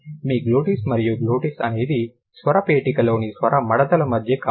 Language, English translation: Telugu, And which way is your glottis, your glottis is the space between the vocal folds in the larynx